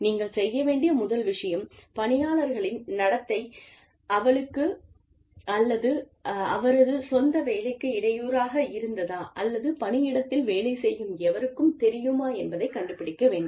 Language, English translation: Tamil, The first thing, you should do is, find out, if the employee's behavior has been disruptive, to her or his own work, or to anyone else's work, in the workplace